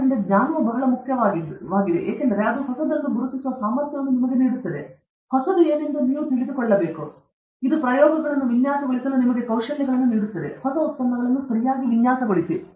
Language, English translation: Kannada, So, knowledge is very important because it gives you the ability to recognize what is new, you should know what is new okay; it also gives you the skills to design experiments, design new products okay